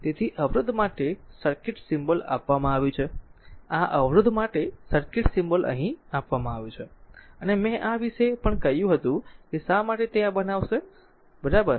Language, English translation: Gujarati, So, the circuit symbol for the resistor is given this is this is the circuit symbol for the resistor is given here and I told you something about these also why you will make it like this, right